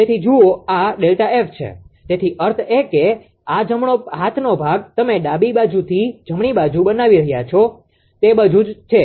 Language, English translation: Gujarati, So, look this is delta F; that means, this right hand portion you are making from the left side right that is all